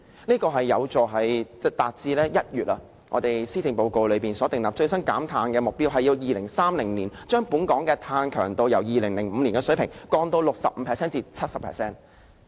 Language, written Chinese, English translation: Cantonese, 這樣有助達致今年1月施政報告所訂立，最新減碳的目標是在2030年將本港的碳強度，由2005年的水平降至 65% 至 70%。, This will help to achieve the latest target set in the Policy Address in January this year of reducing carbon intensity by 65 % to 70 % by 2030 compared with the 2005 level